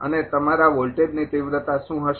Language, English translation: Gujarati, And what will be your ah voltage magnitude